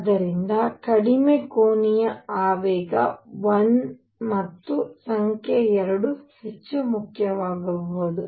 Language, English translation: Kannada, So, lowest angular momentum could be 1 and number 2 more important